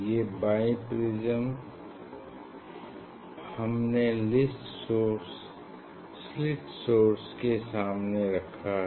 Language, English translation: Hindi, this is the bi prism we have placed in front of the slit source